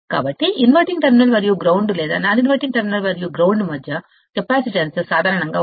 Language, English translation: Telugu, So, the capacitance between the inverting terminal and the ground or non inverting terminal and ground, typically has a value equal to 1